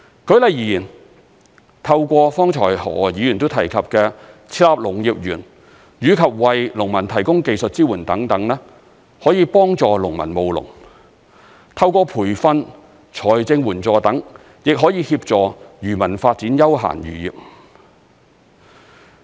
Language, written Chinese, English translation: Cantonese, 舉例而言，透過剛才何議員都提及的設立農業園，以及為農民提供技術支援等，可以幫助農民務農；透過培訓、財政援助等，亦可以協助漁民發展休閒漁業。, For instance the establishment of agricultural parks as mentioned by Mr HO just now and also the provision of technical support for farmers can assist farmers in undertaking agricultural activities while the provision of training and financial support may also help fishermen develop recreational fisheries